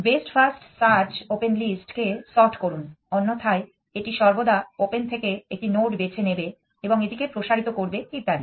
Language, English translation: Bengali, Best first search is there it is sorts opened this; otherwise it will always take one node from open and expand it and so on